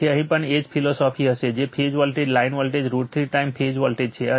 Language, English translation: Gujarati, So, in here also same philosophy will be there that, your phase voltage line voltage is root 3 times phase voltage